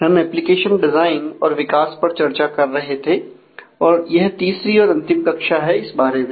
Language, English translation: Hindi, We have been discussing about application design and development and this is the third and concluding module in that regard